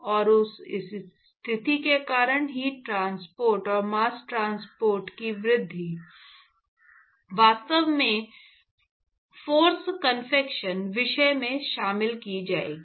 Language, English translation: Hindi, And the enhancement of heat transport and mass transport, etcetera because of that situation, will actually be covered in the force convection topic